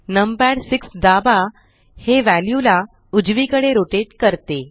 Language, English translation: Marathi, Press num pad 6 the view rotates to the right